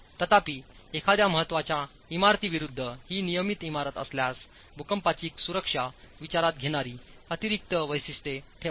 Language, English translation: Marathi, However, if it is a regular building versus an important building, do put in place additional features that takes into account seismic safety